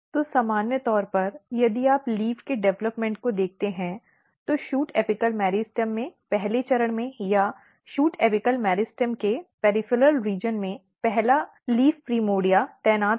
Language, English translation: Hindi, So, in general if you look the development of leave so what happen in the first step in the shoot apical meristem or at the peripheral region of the shoot apical meristem the first leaf primordia is positioned